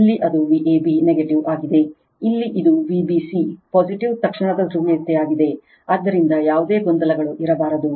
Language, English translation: Kannada, Here it is V a b negative, here it is V b c positive instantaneous polarity right so, no there should not be any confusion